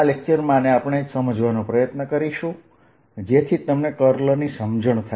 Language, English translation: Gujarati, this is what we will try to understand so that you had a feeling for a curl